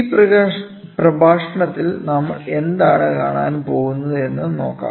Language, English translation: Malayalam, So, let us see what all are we going to cover in this lecture